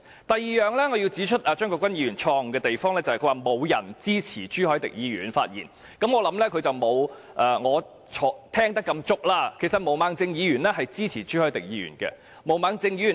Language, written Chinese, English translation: Cantonese, 第二，我想指出張國鈞議員錯誤的地方，就是他說沒有人的發言支持朱凱廸議員，我相信張國鈞議員沒有我聽得那麼足，其實毛孟靜議員支持朱凱廸議員的議案。, Second I would like to point out that Mr CHEUNG Kwok - kwan was wrong in saying none of the spoken Members supported Mr CHU Hoi - dick . I think Mr CHEUNG Kwok - kwan has not been listening with full attention for Ms Claudia MO in fact supports Mr CHU Hoi - dicks motion